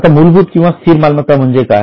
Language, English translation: Marathi, Now what do you mean by fixed assets